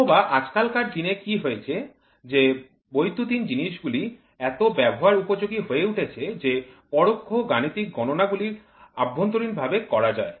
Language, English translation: Bengali, Or nowadays what has happened, the electronics have become so friendly the indirect mathematical calculations are internally done